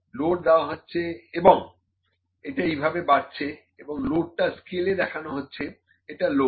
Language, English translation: Bengali, The load is applied and it is increasing like this, then load it is load indicated on the scale this is the load